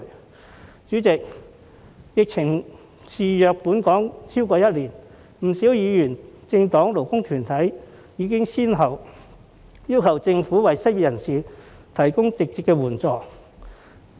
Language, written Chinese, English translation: Cantonese, 代理主席，疫情肆虐本港超過一年，不少議員、政黨及勞工團體已經先後要求政府為失業人士提供直接援助。, Deputy President the epidemic has been rampant in Hong Kong for more than a year . Quite a number of Members political parties and labour groups have requested the Government one after another to provide direct assistance to the unemployed